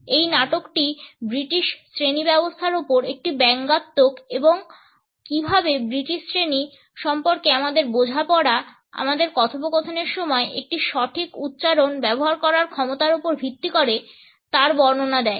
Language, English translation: Bengali, This play is a satire on the British class system and how our understanding of the British class is based on our capability to use a proper accent during our conversation